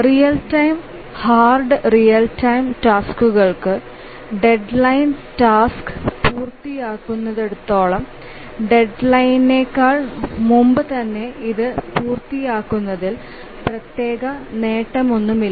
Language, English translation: Malayalam, For hard real time tasks, as long as the task completes within its deadline, there is no special advantage in completing it any earlier than the deadline